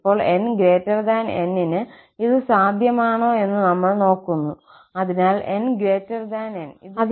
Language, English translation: Malayalam, And now, we are looking for whether this is possible for some n greater than N, so that for n greater than N, this is true